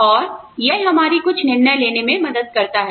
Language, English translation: Hindi, And, that helps us, make some decisions